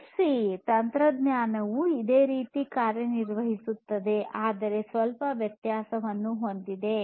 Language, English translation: Kannada, And this NFC technology also work very similarly, but has a difference